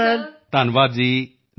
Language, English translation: Punjabi, Ji Namaskar Sir